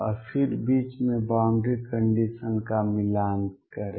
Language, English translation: Hindi, And then match the boundary condition in the middle